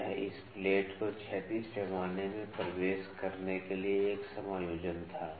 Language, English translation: Hindi, So, it was an adjustment to make this plate enter into the horizontal scale